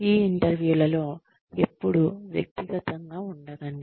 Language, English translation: Telugu, Do not ever get personal in these interviews